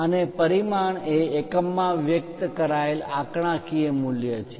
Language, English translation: Gujarati, And, a dimension is a numerical value expressed in appropriate units